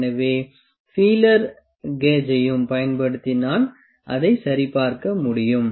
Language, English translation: Tamil, So, I can check it using the feeler gauge as well